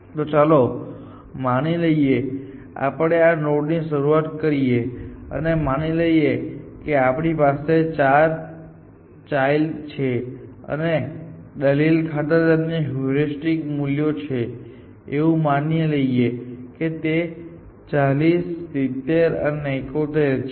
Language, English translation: Gujarati, So, let us say we start with this node start, and let us say we have these four children, and their heuristic values for the sake of argument, let us say, this is 40 and 70 and 71